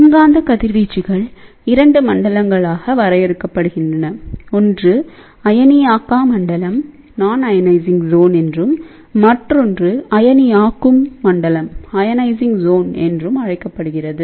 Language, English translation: Tamil, So, electromagnetic radiations are defined in 2 zone; one is known as a nonionizing zone, another one is known as ionizing zone